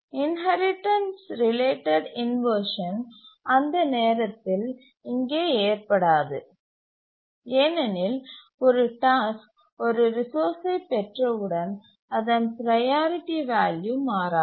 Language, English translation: Tamil, The inheritance related inversion in that sense does not occur here because as soon as a task acquires a resource its priority value does not change